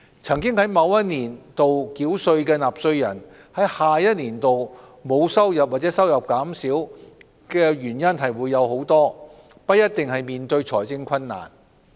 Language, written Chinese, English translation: Cantonese, 曾在某一年度繳稅的納稅人在下一年度沒有收入或收入減少，原因眾多，不一定代表他們面對財政困難。, There are many reasons for taxpayers who paid tax in a certain year to have lowered or no income in the following year which does not necessarily mean that they are faced with financial difficulties